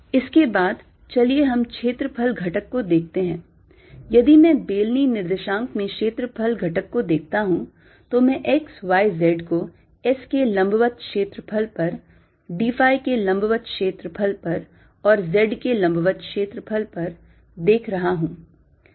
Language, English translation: Hindi, if i look at the area element in cylindrical coordinates, i am looking at x, y, z, at area perpendicular to s, area perpendicular to phi and area perpendicular to z